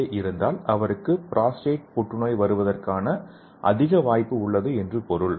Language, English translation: Tamil, Suppose if the person is having more amount of PSA that means he has high chance for getting prostate cancer